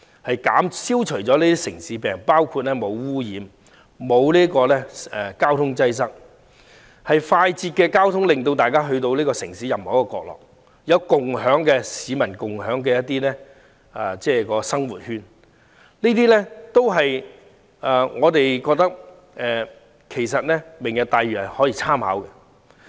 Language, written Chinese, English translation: Cantonese, 該區將消除"城市病"，既無污染，亦無交通擠塞，而且有便捷的交通直達城市任何角落，亦有市民共享的生活圈，所以我們認為可供"明日大嶼"參考。, With the elimination of urban diseases the area will be free of pollution or traffic congestion with an efficient transport network that makes every corner of the city directly accessible and a living sphere shared by members of the public . That is why we consider that it may serve as reference for Lantau Tomorrow